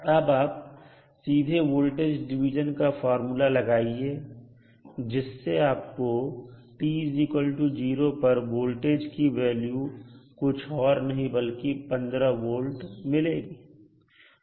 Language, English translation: Hindi, You can simply use the voltage division and you will come to know that the value of this voltage at time t is equal to 0 is nothing but 15 volt